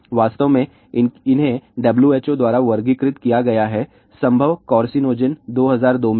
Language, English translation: Hindi, In fact, these have been classified by W H O as possible carcinogen in 2002 itself